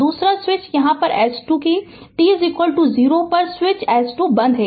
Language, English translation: Hindi, The another switch is here S 2 that at t is equal to 0 switch S 2 is closed